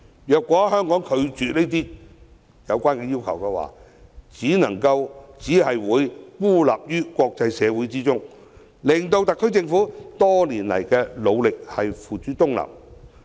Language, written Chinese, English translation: Cantonese, 如果香港拒絕滿足相關要求，只會被國際社會孤立，枉費特區政府多年來的努力。, In refusing to meet such a request Hong Kong will only be isolated by the international community wasting years of efforts of the Special Administrative Region Government